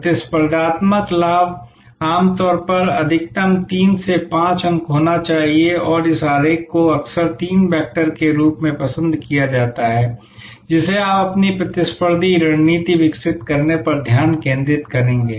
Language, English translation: Hindi, Competitive advantage should normally be maximum three to five points and this diagram is often preferred as the three vectors that you will focus on for developing your competitive strategy